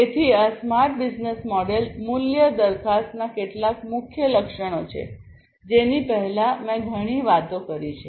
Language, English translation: Gujarati, So, these are some of the key attributes of the smart business model value proposition, which I have talked a lot earlier